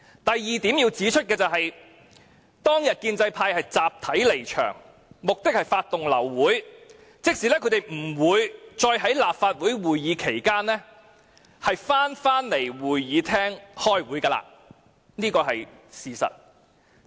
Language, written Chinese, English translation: Cantonese, 我要指出的第二點是，當天建制派集體離場，目的是發動流會，即他們不會在立法會會議期間重返會議廳開會，這是事實。, The second point I have to raise is about the withdrawal en masse of the pro - establishment Members from the meeting on that day . Their move sought to set off an aborted meeting which meant they would not return to the Chamber during the Council meeting . This is the fact